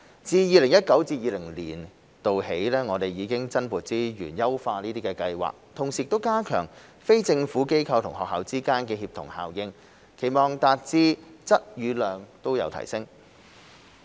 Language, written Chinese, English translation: Cantonese, 自 2019-2020 年度起，我們已增撥資源優化計劃，同時加強非政府機構與學校之間的協同效應，期望達至質與量都有提升。, Starting from 2019 - 2020 we have allocated additional resources to enhance the Scheme and strengthen the synergy between NGOs and schools with a view to achieving both qualitative and quantitative improvements